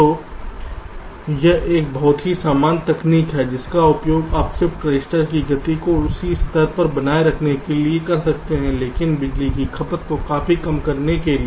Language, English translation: Hindi, so this is one very simple technique which you can use to increase the ah, to keep the speed of the shift register at this same level but to reduce the power consumption quite significantly